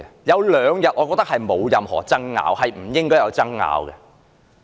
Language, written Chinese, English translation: Cantonese, 有兩個日子我覺得沒有任何爭拗，亦不應該有爭拗。, I think there are two festive days which should not attract much argument